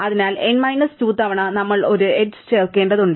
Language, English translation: Malayalam, So, n minus 2 times we have to add an edge